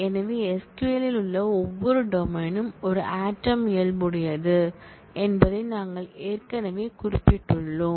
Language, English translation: Tamil, So, we have already specified that, every domain in SQL is more of an atomic nature